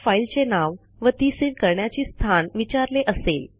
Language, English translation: Marathi, It asks for filename and location in which the file has to be saved